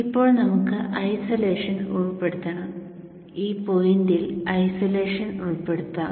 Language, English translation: Malayalam, Now we have to include isolation and isolation will be included at this point